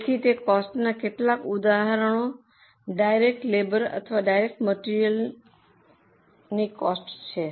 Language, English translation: Gujarati, So, some of the examples of them are cost of direct labour or direct material